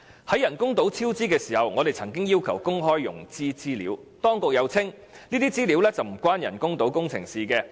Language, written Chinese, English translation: Cantonese, 在人工島超支時，我們曾要求公開融資資料，當局又稱這些資料與人工島工程無關。, When the artificial island incurred a cost overrun we requested that information on the loans be disclosed . The Government said that the information was not relevant to the artificial island project